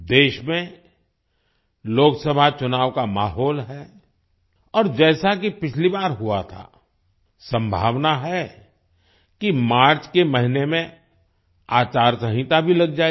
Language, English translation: Hindi, The atmosphere of Lok Sabha elections is all pervasive in the country and as happened last time, there is a possibility that the code of conduct might also be in place in the month of March